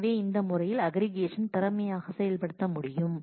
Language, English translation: Tamil, So, in this manner the aggregation can be efficiently implemented